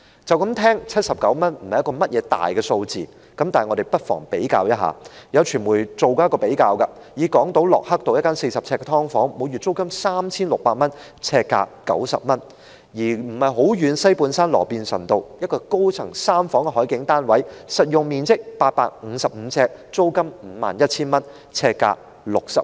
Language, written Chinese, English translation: Cantonese, 聽起來79元不是一個大數字，但我們不妨比較一下，有傳媒曾作出比較，港島駱克道一間40平方呎的"劏房"，每月租金 3,600 元，呎價90元；而距離不遠的西半山羅便臣道一個高層三房海景單位，實用面積855平方呎，租金 51,000 元，呎價60元。, While 79 does not sound like a big amount we may perhaps draw a comparison . According to a comparison made by the media a subdivided unit of 40 sq ft on Lockhart Road on Hong Kong Island is rented at 3,600 monthly which means 90 per square foot; whereas for a three - bedroom sea view apartment measuring 855 sq ft of saleable area on higher floors located not far away on Robinson Road in the Mid - Levels West the rental is 51,000 or 60 per square foot